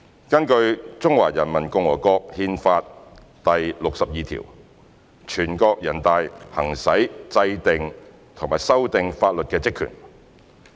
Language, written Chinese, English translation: Cantonese, 根據《中華人民共和國憲法》第六十二條，全國人大行使制定和修改法律的職權。, In accordance with Article 62 of the Constitution of the Peoples Republic of China NPC exercises the function and power of enacting and amending laws